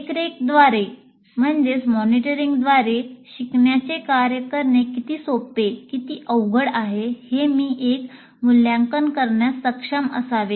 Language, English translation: Marathi, So I should be able to, through monitoring, I should be able to make an assessment how easy or difficult a learning task will be to perform